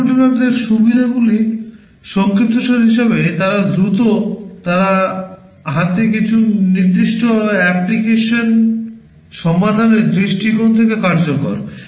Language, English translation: Bengali, To summarize the advantages of microcontrollers, they are fast, they are effective from the point of view of solving some particular application at hand